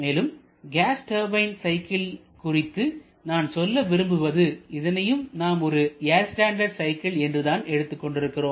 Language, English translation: Tamil, And I also have to add to that the gas turbine cycle that I am going to talk about here that can use also one kind of air standard cycles